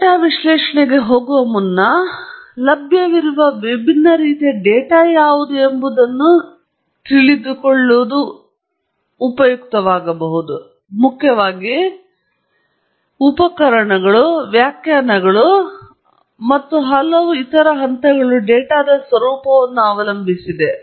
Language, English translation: Kannada, And before we proceed to data analysis, it may be very useful to know what are the different types of data that are available, because primarily as I will mention later, the tools, the interpretations, and so many other steps depend on the nature of the data